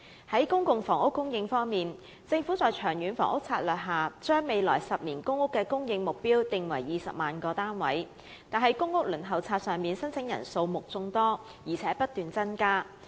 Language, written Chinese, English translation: Cantonese, 在公共房屋供應方面，政府在長遠房屋策略下，訂定未來10年公共租住房屋的供應目標為20萬個單位，但公屋輪候冊上的申請人數目眾多，並不斷增加。, On public housing supply the Government has set the ten - year supply target at 200 000 public rental housing PRH units under the Long Term Housing Strategy LTHS but the huge number of PRH applicants on the waiting list just keeps growing